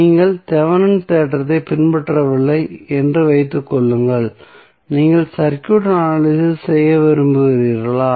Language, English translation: Tamil, Suppose you are not following the Thevenin theorem and you want to analyze the circuit what you will do